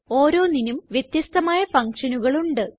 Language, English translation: Malayalam, Each one has a different function